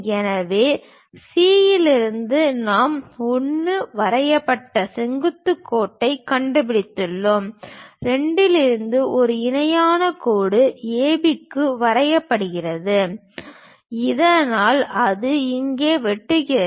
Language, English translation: Tamil, So, from C we have located 1 drop a perpendicular line, from 2 drop one more parallel line to A B so that it goes intersect here